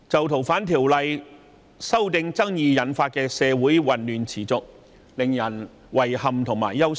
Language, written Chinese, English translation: Cantonese, 《逃犯條例》修訂爭議引發的社會混亂持續，令人遺憾和憂心。, The persistent chaos resulted from the disputes about the amendment to FOO is sad and worrying